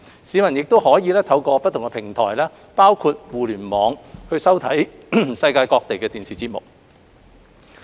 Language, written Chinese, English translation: Cantonese, 市民亦可透過不同平台包括互聯網收看世界各地的電視節目。, They may also watch TV programmes from around the world through different platforms including the Internet